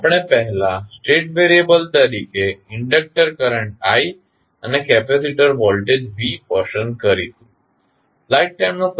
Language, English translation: Gujarati, First step is that what we will select the inductor current i and capacitor voltage v as a state variable